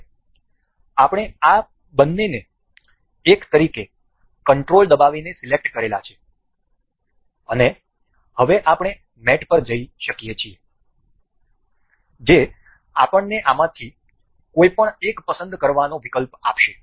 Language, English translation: Gujarati, Now, we have control selected both of these as 1 and now we can go to mate, this will give us option to select any one of these